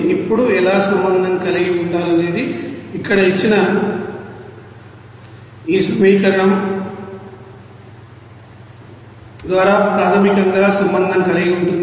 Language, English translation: Telugu, Now how to be related this is basically related by this equation here given